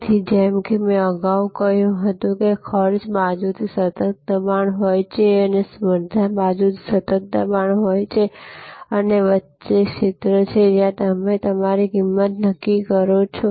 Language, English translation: Gujarati, So, as I said earlier that there is a constant pressure from the cost side and there is a constant pressure from the competition side and in between is the arena, where you are setting your pricing